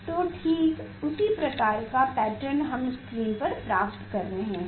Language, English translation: Hindi, exactly the same; exactly the same type of pattern we are getting on the screen we are getting on the screen